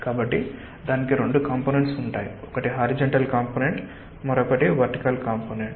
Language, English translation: Telugu, so how do you calculate the horizontal component and the vertical component